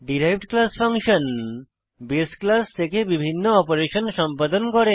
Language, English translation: Bengali, Derived class function can perform different operations from the base class